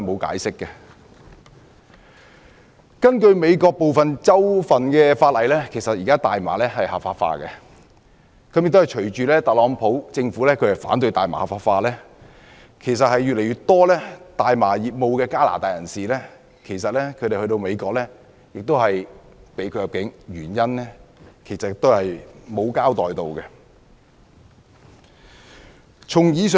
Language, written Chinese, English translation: Cantonese, 根據美國部分州份的法例，現時大麻是合法化的，亦隨着特朗普政府反對大麻合法化，越來越多從事大麻業務的加拿大人士前往美國時被拒入境，也是沒有交代原因。, According to the laws of some states in the United States marijuana is now legalized . As the TRUMP Administration opposes the legalization of marijuana more and more Canadians who engage in cannabis business are not permitted to enter the United States . Again no explanation is given